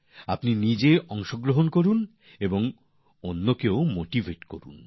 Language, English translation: Bengali, So do participate and motivate others too